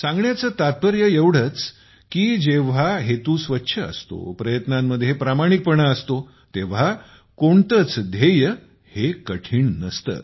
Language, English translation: Marathi, What I mean to say is that when the intention is noble, there is honesty in the efforts, no goal remains insurmountable